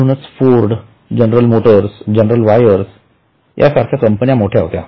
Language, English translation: Marathi, So, large companies like Ford or General Motors or General Electric were big companies